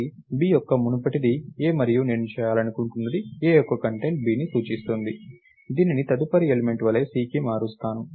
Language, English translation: Telugu, So, b’s predecessor is a and what I want to do is change the contents of a to point to c as the next element, right